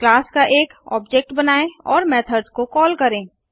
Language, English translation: Hindi, Let us create an object of the class and call the methods